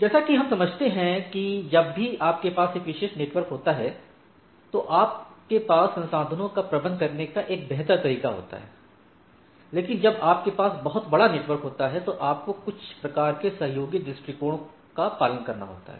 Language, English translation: Hindi, As we understand that this whenever you have a more administrative control and a over a particular network and the resources you have a better way of manageability, but when you have a in a very large network, then you have to follow some sort of a some sort of a what we say collaborative approach right